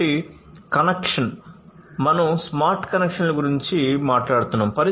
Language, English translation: Telugu, So, connection: so, we are talking about smart connections